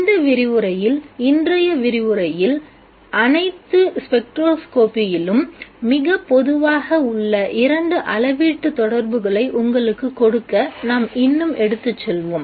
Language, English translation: Tamil, In this lecture, in today's lecture, we will take it further to give you two quantitative relations which are very common in all of spectroscopy